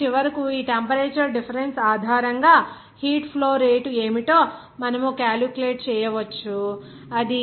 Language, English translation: Telugu, So, finally, we can calculate what should be heat transfer rate based on this temperature difference, it will be 0